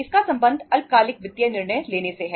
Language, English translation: Hindi, It is concerned with short term financial decision making